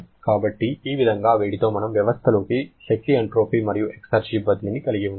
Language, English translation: Telugu, So, this way with heat we can have energy entropy and exergy transfer into the system